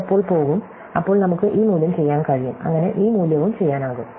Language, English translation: Malayalam, So, we will be able to do this value, when this will go, so we can do this value and so on